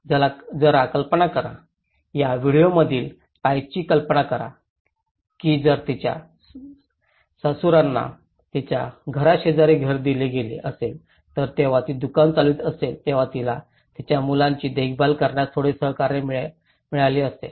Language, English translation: Marathi, Just imagine, of the lady in that video imagine if her in laws was given a house next to her house she would have got little support to look after her kids when she was running the shop